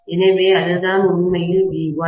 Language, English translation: Tamil, So, that is what is actually my V1